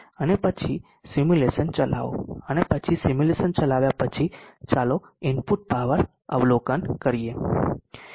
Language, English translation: Gujarati, And then run the simulation, and then after running the simulation let us observe the input power